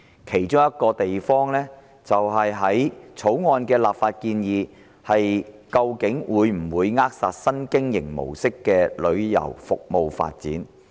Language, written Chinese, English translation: Cantonese, 其中《條例草案》的立法建議會否扼殺新經營模式的旅遊服務發展？, Will the legislative proposals in the Bill throttle the development of travel services under a new operating mode?